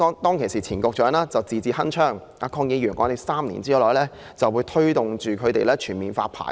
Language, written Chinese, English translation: Cantonese, 當時前局長字字鏗鏘，指3年內政府會推動全面發牌。, At that time the former Secretary said in no uncertain terms that the Government would take forward full licensing within three years